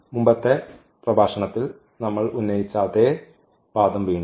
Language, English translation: Malayalam, Again the same argument which we had in the previous lectures